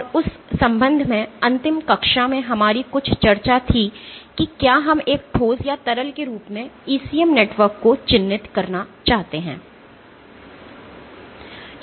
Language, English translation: Hindi, And in that regard the last class we had some discussion about whether we want to characterize an ECM network as a solid or a liquid